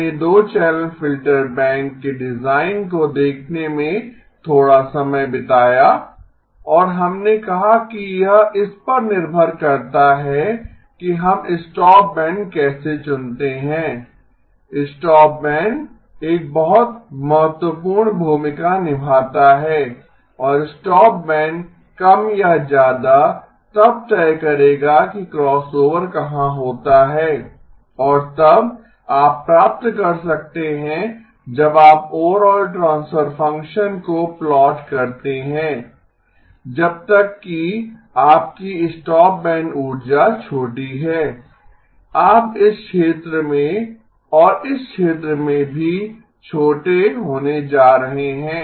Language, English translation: Hindi, We spent a bit of time looking at the design of the of a 2 channel filter bank and we said that depending upon how we choose the stopband, stopband plays a very important role and stopband will more or less then decide where the crossover occurs and then you may get in when you plot the overall transfer function as long as your T your stopband energy is small you are going to be small in this region and also in this region